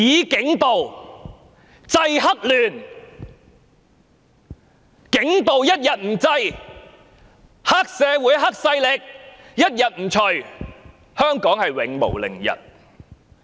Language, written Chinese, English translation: Cantonese, 警暴一天不制，黑社會勢力一天不除，香港便永無寧日。, We can never restore peace to Hong Kong unless and until police brutality is stopped and triad forces are eradicated